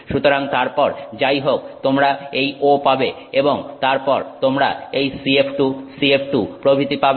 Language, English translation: Bengali, So, so then you get this O, whatever and then you get the CF to CF2, etc